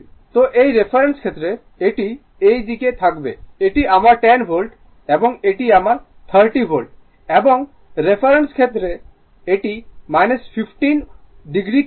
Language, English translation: Bengali, So, with with respect to this reference it will be your this side this is my 10 volt and this is my 30 degree and with respect to reference, it is minus 15 degree current